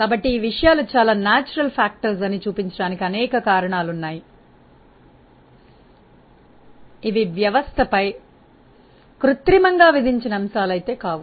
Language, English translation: Telugu, So, there are many factors these things just show that these are very natural factors, these are not any artificially imposed factors on the system